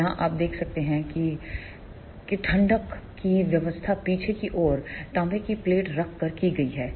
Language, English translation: Hindi, Here you can see that the cooling arrangement are made by placing a copper plate at the back end